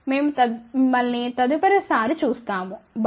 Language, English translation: Telugu, We will see you next time, bye